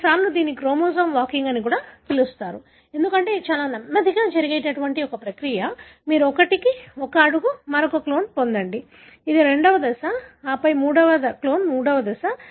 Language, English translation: Telugu, Sometimes it is called as chromosome walking, because it is a very slow process; you get one, one step, get the other clone that is the second step and then the third clone that is third step